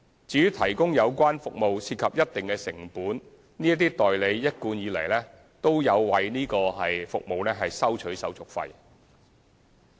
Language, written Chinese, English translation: Cantonese, 由於提供有關服務涉及一定的成本，這些代理一貫有為此收取手續費。, Since the provision of such service involves certain costs the agents have been charging service fees